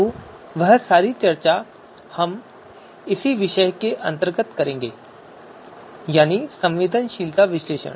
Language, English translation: Hindi, So all that al that discussion comes under the you know this topic that is sensitivity analysis